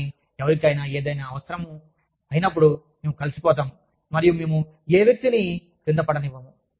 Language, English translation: Telugu, But, when somebody needs something, we just get together, and we do not let this person, crash